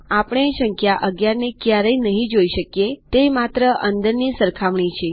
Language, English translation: Gujarati, We never see the value of 11, its only an inside comparison